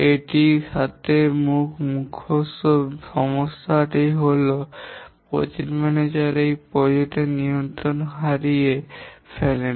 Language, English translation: Bengali, The main problem with this is that the project manager loses control of the project